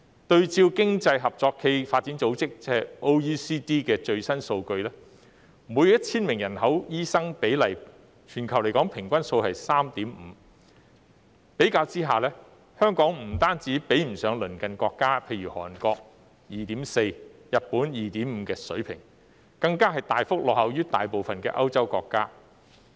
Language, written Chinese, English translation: Cantonese, 對照經濟合作與發展組織的最新數據，每 1,000 名人口的醫生比例，全球平均數是 3.5， 相比之下，香港不單比不上鄰近國家，例如韓國 2.4、日本 2.5 的水平，更大幅落後於大部分歐洲國家。, Drawing reference from the latest figures of the Organisation for Economic Co - operation and Development OECD we see that the global average ratio of doctors per 1 000 people is 3.5 . In comparison not only does Hong Kong lag behind the standard in the neighbouring countries such as 2.4 in Korea and 2.5 in Japan . It also lags way behind most European countries